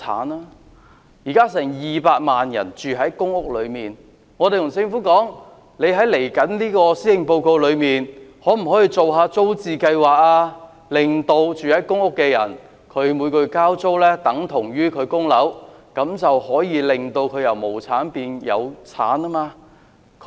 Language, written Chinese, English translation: Cantonese, 現在有近200萬人居住在公營房屋，我們建議政府，在接着的施政報告中，可否推出租置計劃，令居住在公屋裏面的人，每個月交租等同供樓，這便可以讓他們由無產變有產。, Almost 2 million people are now living in public housing . We suggest the Government to launch a tenants purchase scheme in the coming Policy Address to enable public housing tenants to turn their monthly rent payment into payment for home purchase so as to enable them to acquire property